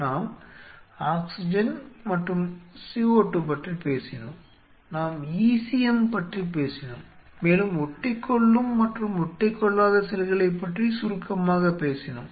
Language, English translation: Tamil, Let us talk about the third aspect of, we have talked about oxygen and CO2, we have talked about e c m and we have briefly talked about adhering and non adhering cells